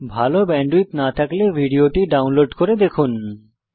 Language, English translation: Bengali, If you do not have good bandwith , you can download and watch it